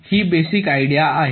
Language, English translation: Marathi, ok, this is the basic idea